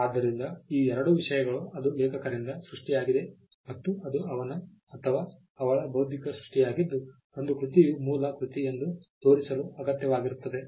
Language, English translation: Kannada, So, these two things, one it originated from the author and it is his or her intellectual creation is all that is required to show that a work is an original work